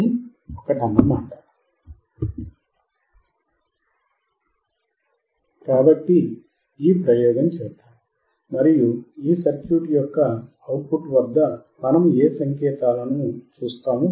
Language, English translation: Telugu, So, let us do this experiment, and see what signals we see at the output of this circuit